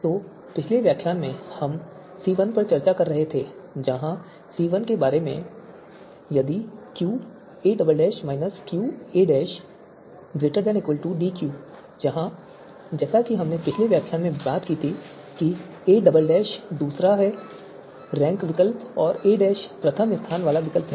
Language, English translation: Hindi, So in the previous lecture we were discussing C1 so where C1 is about if Q a double dash minus Q a dash this would be greater than or equal to DQ where as we talked about in the previous lecture that a double dash is second ranked alternative and a dash is first ranked alternative